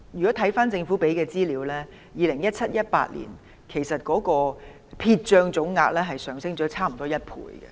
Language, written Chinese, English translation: Cantonese, 根據政府提供的資料 ，2017-2018 年度的撇帳總額上升接近1倍。, According to the Governments information the total amount written off in 2017 - 2018 has almost doubled